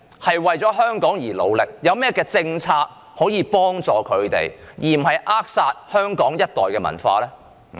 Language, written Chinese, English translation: Cantonese, 他們為香港付出努力，當局有何政策幫助他們，以免扼殺香港一代的文化？, While these freelancers have made contributions to Hong Kong what policy the Government has put in place to assist them so as to avoid killing the culture of this entire generation in Hong Kong?